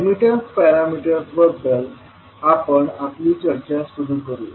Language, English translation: Marathi, So, let us start our discussion about the admittance parameters